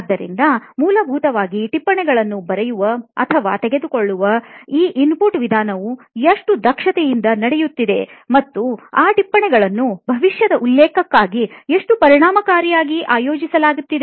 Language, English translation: Kannada, So basically how well this input method of writing or taking down notes is happening and how efficiently these notes are being organized for future reference